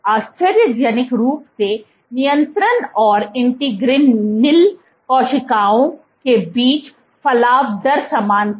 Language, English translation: Hindi, Surprisingly the protrusion rate between control and integrin null cells was same